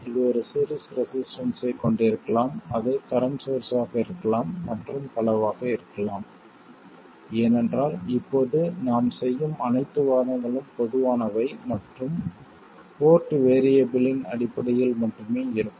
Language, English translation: Tamil, It could have a series resistance, it could be a current source and so on because all the arguments we will make now will be general and in terms of only the port variables